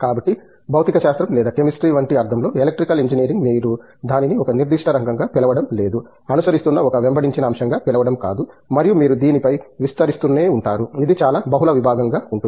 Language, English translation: Telugu, So, in that sense like physics or like chemistry, Electrical Engineering is not that you call it as a chased subject where you keep following one specific area and you keep expanding on that, it’s highly multidisciplinary